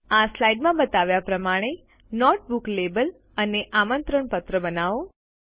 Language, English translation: Gujarati, Create a note book label and an invitation as shown in this slide